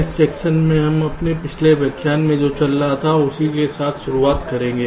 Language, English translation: Hindi, so in this lecture we shall be continuing with what we were discussing during the last lecture